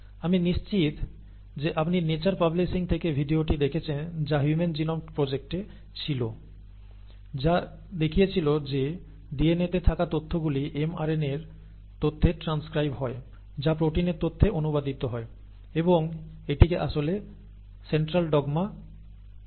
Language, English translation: Bengali, I am sure you watched the video from nature publishing which was on the human genome project, which showed that the information in the DNA is transcribed to the information in the mRNA which gets translated to the information in the proteins, okay